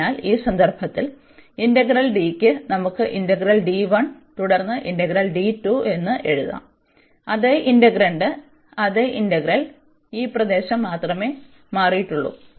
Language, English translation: Malayalam, So, in that case this integral over D, we can write the integral over this D 1 and then the integral over D 2 the same integrant, same integral only this region has changed